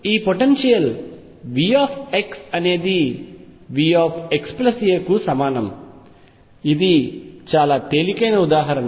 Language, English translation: Telugu, So, this potential V x is equal to V x plus a, this is a very simple example